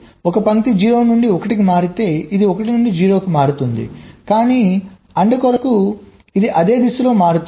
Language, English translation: Telugu, if, if this line changes from zero to one, this will change from one to zero, but for end it will change in the same direction